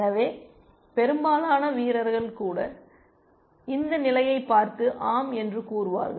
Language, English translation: Tamil, So, even players, most even players will look at this position and say yes